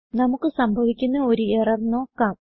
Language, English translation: Malayalam, Now let us see an error which we can come across